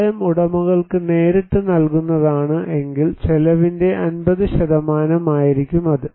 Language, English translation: Malayalam, In case that assistance will be given directly to the owners, 50 % of the cost